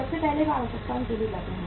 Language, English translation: Hindi, First of all they go for the necessities